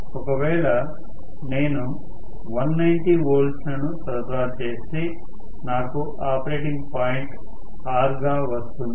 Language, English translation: Telugu, If I apply, say 200 and rather 190 volts, maybe I am going to get the operating point as R and so on